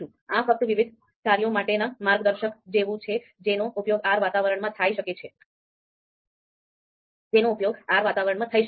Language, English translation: Gujarati, This is just like manual of you know different functions that can be used in a R environment